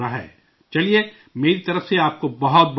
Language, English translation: Urdu, Fine… many congratulations to you from my side